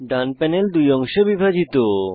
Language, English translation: Bengali, The right panel is divided into two halves